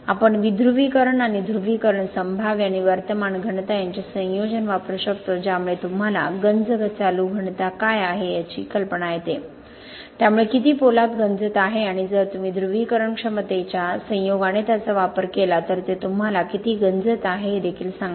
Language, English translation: Marathi, We can use the combination of depolarization and polarized potential and current density that gives you an idea what the corrosion current density, So how much steel is corroding and if you use it in combination with the polarized potential it also tells you how much corrosion is going on